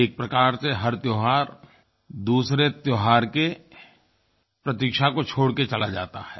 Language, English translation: Hindi, In a way one festival leaves us waiting for another